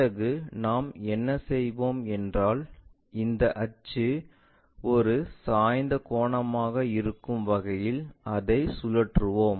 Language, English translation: Tamil, Then, what we will do is we will rotate it in such a way that this axis may an inclination angle perhaps in that way